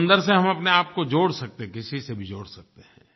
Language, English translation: Hindi, We can connect ourselves with sea, we can connect with anyone by sea